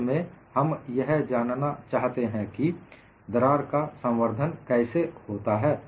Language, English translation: Hindi, In fracture, we want to know how the crack propagates